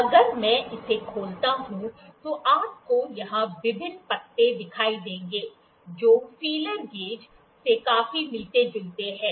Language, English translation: Hindi, If I open it, you will see the various leaves here, which are very similar to the feeler gauge